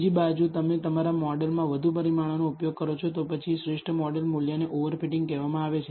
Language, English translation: Gujarati, On the other hand, if you use more parameters in your model, than the optimal model value is called over fitting